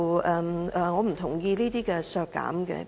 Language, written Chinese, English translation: Cantonese, 我不同意這些削減建議。, I do not agree to these expenditure cut proposals